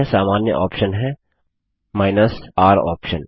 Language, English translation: Hindi, The other common option is the r option